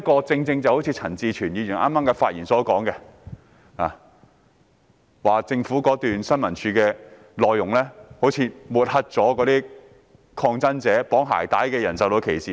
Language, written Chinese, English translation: Cantonese, 正如陳志全議員剛才發言時提到，政府新聞處的宣傳短片似乎抹黑了抗爭者，令綁鞋帶的人受到歧視。, As stated by Mr CHAN Chi - chuen in his speech just now it seems that an Announcement in the Public Interest API of the Information Services Department ISD has slung mud at protesters subjecting persons tying shoelaces to discrimination